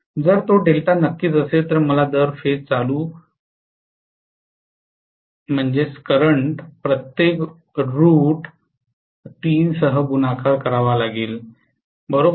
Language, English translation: Marathi, If it is delta of course I have to multiply the per phase current by root three, right